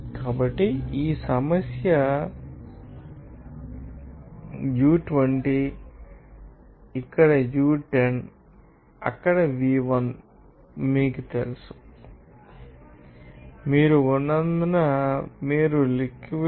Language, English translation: Telugu, So, v2 is known to you as part this problem u20 here u10 here but again you have to calculate what to the mass flow rate